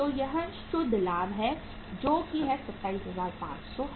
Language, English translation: Hindi, So it is the to net profit which is 27,500